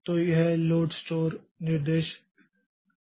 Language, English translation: Hindi, So, this load stored instructions are atomic